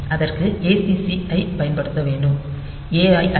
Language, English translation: Tamil, So, we should use acc and not A